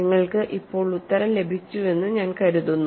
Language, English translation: Malayalam, I suppose you have got the answer now